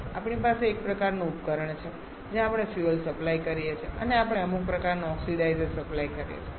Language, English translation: Gujarati, So, what we do we have some kind of device where we supply a fuel and we supply some kind of oxidizer